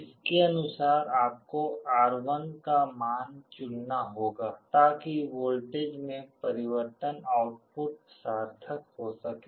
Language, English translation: Hindi, Accordingly you will have to choose the value of R1, so that the change in the voltage output can be significant